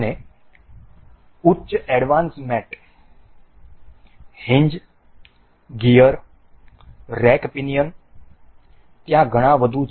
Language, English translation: Gujarati, And higher advanced mates, hinge, gear, rack pinion, there are many more